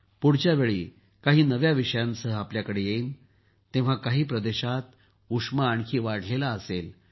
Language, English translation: Marathi, Next time I will come to you with some new topics… till then the 'heat' would have increased more in some regions